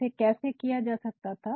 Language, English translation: Hindi, How could it might have been done